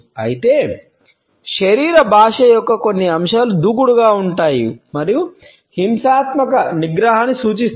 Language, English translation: Telugu, Whereas, some aspects of body language can be aggressive and suggest a violent temper